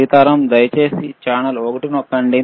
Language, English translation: Telugu, Sitaram, can you please press channel one